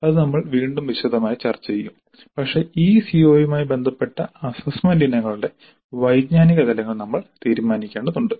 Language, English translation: Malayalam, This we will discuss again in detail but we have to decide on the cognitive levels of the assessment items related to this CO